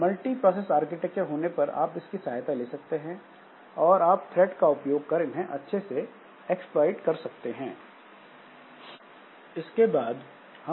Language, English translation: Hindi, So if you have got multiprocessor architectures, then of course you can take help of that and you can utilize these threads effectively for exploiting there